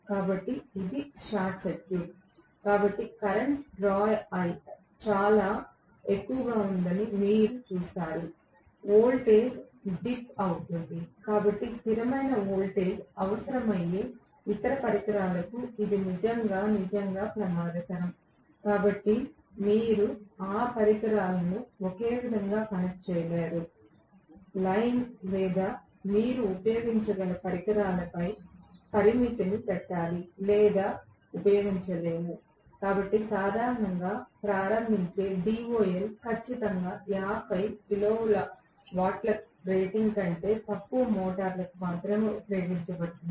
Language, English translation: Telugu, So, it is a short circuit, so you will see that the current drawn is very high, the voltage will dip, so it is really really dangerous for the other equipment which require constant voltage, so you cannot connect those equipment in the same line or you should put a restriction on the equipment that can be used or it cannot be used, you have to say this is the limit that is it, so DOL starting normally is used only for motors less than strictly 50 kilowatt rating